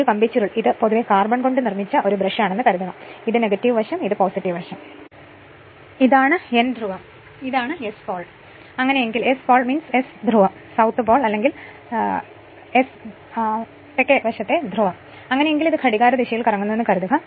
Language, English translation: Malayalam, And this coil this is beyond suppose this is a brush generally made of carbon this is the minus side and this is the plus side this is the N pole, and this is the S pole right and in that case suppose it is rotating in this way the clockwise direction